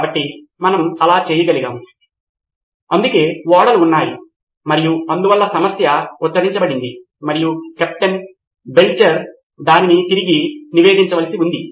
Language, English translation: Telugu, So we could have done that is why the ships were and that is why the problem was pronounced and captain, poor captain Belcher had to report it back